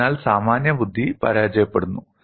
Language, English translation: Malayalam, So, common sense fails